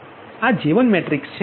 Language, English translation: Gujarati, so this is the j one matrix